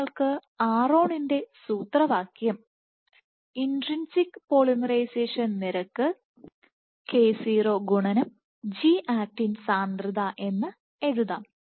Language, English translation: Malayalam, So, you can write the expression for ron as k0 which is the intrinsic polymerization rate times the G actin concentration